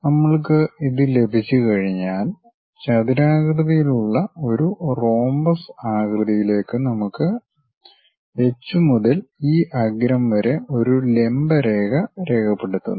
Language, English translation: Malayalam, Once we have this, square into a rhombus kind of shape we have this edge from H drop a perpendicular line